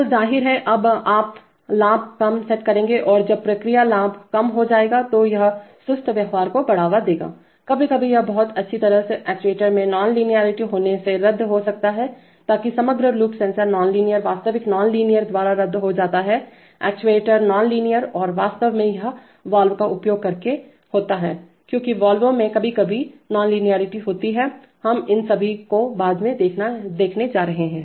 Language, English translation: Hindi, So obviously now the, now you will set the gain low and when the process gain will become low then it will lead to sluggish behavior, sometimes this can be very nicely cancelled by having an inverse on linearity in the actuator, so that, in the overall loop the sensor non linearity gets cancelled by the actual non linearity, actuator non linearity and in fact it happens by using valves because valves have inverse non linearity sometimes, we are going to see all these later